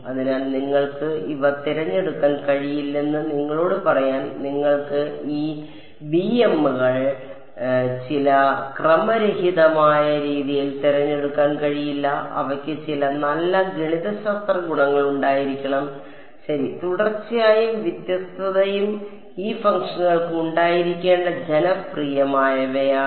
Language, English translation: Malayalam, So, just to tell you that you cannot choose these; you cannot choose these b m’s in some random fashion, they should have some nice mathematical properties ok, continuity and differentiability are some of the popular ones that these functions should have